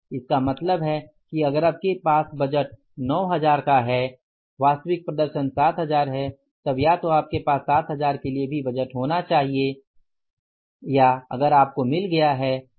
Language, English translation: Hindi, So, it means if you have 9,000 budget actual performance is 7,000 either you should have the budget also for the 7,000